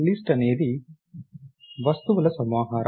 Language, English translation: Telugu, List is nothing, but a collection of items